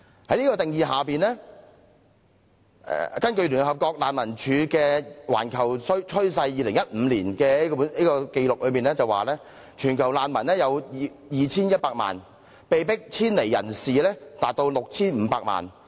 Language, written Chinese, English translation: Cantonese, 在這個定義下，根據聯合國難民署發表的《全球趨勢》所顯示的2015年的紀錄，全球難民有 2,100 萬人，被迫遷離人士達 6,500 萬人。, Under the definition and according to the report entitled Global Trends published by the United Nations High Commissioner for Refugees there were a total of 21 million refugees all over the world in 2015 and 65 million people were displaced from their home involuntarily in the same year